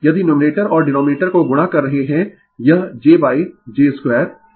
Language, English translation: Hindi, If you multiplying numerator and denominator it will be j by j square j square is minus